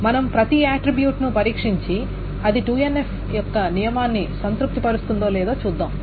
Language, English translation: Telugu, So we test each attribute and see whether it satisfies the condition of the 2NF